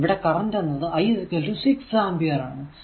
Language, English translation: Malayalam, So, it is your minus 1 I is equal to 6 ampere